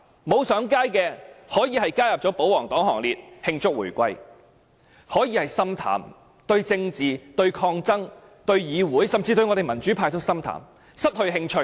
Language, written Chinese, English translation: Cantonese, 沒有上街的市民，可能已經加入保皇黨行列，慶祝回歸；可能已經心淡，對政治、抗爭、議會，甚至民主派都心淡，失去興趣。, These people may have joined the royalists to celebrate the reunification; they may be disheartened and are no longer interested in politics protests the legislature and even the democratic camp